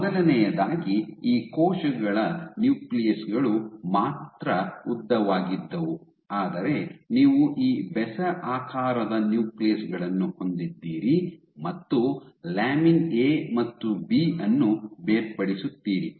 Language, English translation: Kannada, So, first of all not only were these cells nuclei were elongated, but you have these odd shaped nuclei and the segregation of lamin A and B